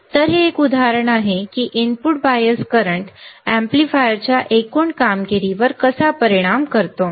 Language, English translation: Marathi, So, this is an example how the input bias current affects the overall performance of the amplifier